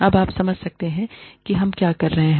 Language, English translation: Hindi, Now, you get a sense of, what we are doing